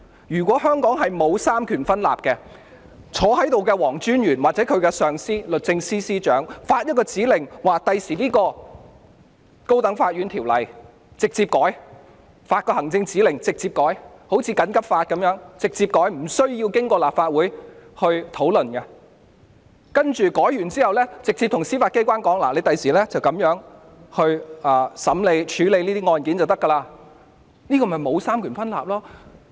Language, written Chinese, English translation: Cantonese, 如果香港真的沒有三權分立，由在席的黃專員或其上司律政司司長發出行政指令，以後便能直接修改《高等法院條例》，就如《緊急情況規例條例》一樣，可以直接修改而無須經過立法會審議，修改後再指示司法機關以後這樣處理案件便可，這才是沒有三權分立的情況。, If there is really no separation of powers in Hong Kong then in future an administrative directive issued by Solicitor General WONG who is present here or his superior the Secretary for Justice can directly amend the High Court Ordinance without the need to go through the scrutiny of the Legislative Council as in the case of the Emergency Regulations Ordinance and afterwards they can further instruct the Judiciary to handle cases accordingly . That is the very situation where the separation of powers is non - existent